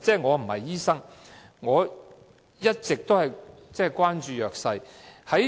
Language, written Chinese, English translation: Cantonese, 我不是醫生，而我一直關注弱勢社群。, I am not a doctor and all along I have been concerned about the underprivileged